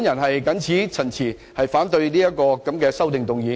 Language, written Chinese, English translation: Cantonese, 我謹此陳辭，反對此項修正案。, With these remarks I oppose this amendment